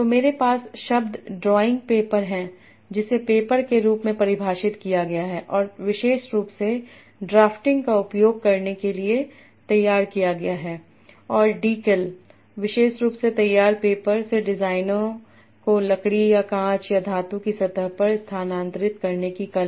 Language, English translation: Hindi, So I have the word drawing paper defined as paper that is specially prepared for using drafting and dackle, the art of transferring designs from especially prepared paper to a wood or glass or metal surface